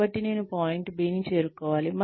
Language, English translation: Telugu, So, I need to reach point B